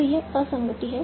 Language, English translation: Hindi, So this is an inconsistency